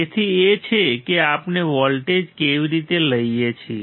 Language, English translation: Gujarati, TAhis is how we take the voltage